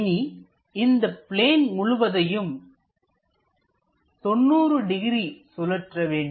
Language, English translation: Tamil, Now, rotate this entire plane by 90 degrees